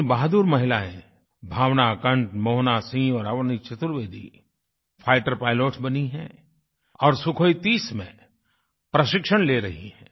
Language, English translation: Hindi, Three braveheart women Bhavna Kanth, Mohana Singh and Avani Chaturvedi have become fighter pilots and are undergoing training on the Sukhoi 30